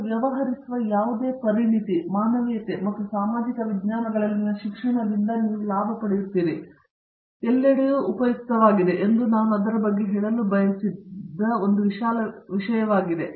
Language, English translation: Kannada, Whatever expertise you deal, you gain out of the courses in humanities and social sciences is going to be useful everywhere thatÕs one broad thing which I wanted to say about that